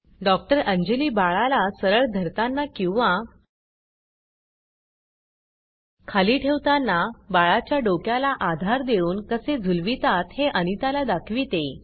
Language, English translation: Marathi, Anjali shows her how to support the head of the baby and cradle it when holding the baby upright or when laying it down